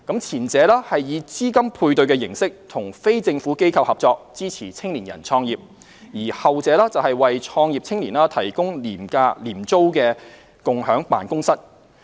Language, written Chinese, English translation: Cantonese, 前者以資金配對形式與非政府機構合作，支持青年人創業；而後者為創業青年提供廉租共享辦公室。, The former supports business venture by young people in the form of a matching subsidy in collaboration with non - governmental organizations NGOs while the latter provides shared space for use by young entrepreneurs at concessionary rental